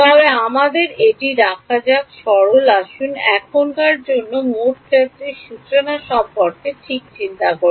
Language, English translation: Bengali, But let us keep it simple let us just think about total field formulation for now ok